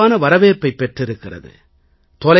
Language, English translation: Tamil, This has gained wide acceptance